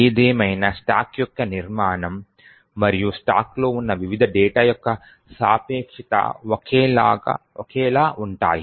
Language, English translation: Telugu, However the structure of the stack and the relativeness of the various data are present on the stack would be identical